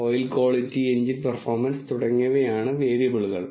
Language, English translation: Malayalam, And the variables are oil quality, engine performance and so on